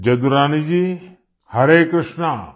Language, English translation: Odia, Jadurani Ji, Hare Krishna